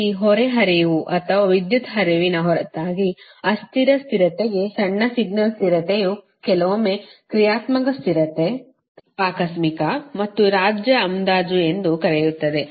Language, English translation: Kannada, apart from this, this load flow or power flow is also required for transient stability, that small signal stability sometimes will call dynamic stability, contingency and state estimation, right